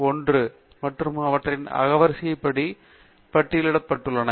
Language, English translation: Tamil, 1 and they are listed in alphabetical order